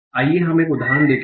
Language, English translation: Hindi, So let's see one example